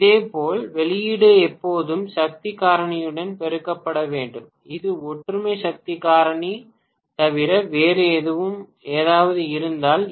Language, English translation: Tamil, Similarly, the output has to be always multiplied with the power factor, if it is anything other than unity power factor